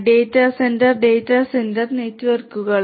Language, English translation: Malayalam, And this is known as the data centre network